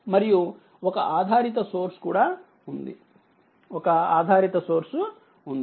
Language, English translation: Telugu, And one dependent source is also there, one dependent source is there